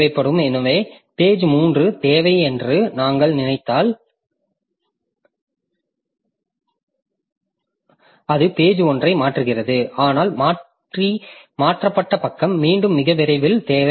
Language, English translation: Tamil, So, as I was explaining that page 3 is required so it replaces page 1 but that replaced page page 1 again needed very shortly